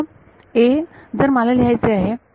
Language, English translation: Marathi, Now #a, if I want to write